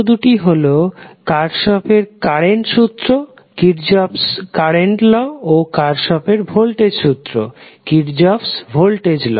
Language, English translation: Bengali, These two laws are Kirchhoff’s current law and Kirchhoff’s voltage law